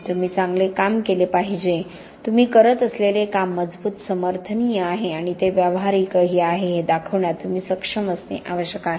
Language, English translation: Marathi, You have to do good, you have to be able to show that the work you do is robust, is supportable and it is also practical